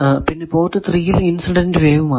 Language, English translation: Malayalam, So, port 4 does not have any incident wave